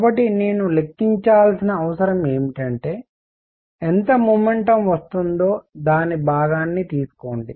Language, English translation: Telugu, So, what I need to calculate is how much momentum is coming in take its component